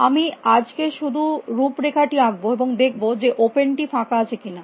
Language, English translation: Bengali, I will just write the outline today, and then, while open not empty